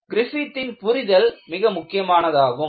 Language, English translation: Tamil, The understanding of Griffith is good